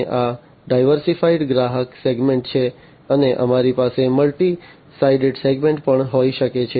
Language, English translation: Gujarati, And this is diversified customer segment and we can also have multi sided segments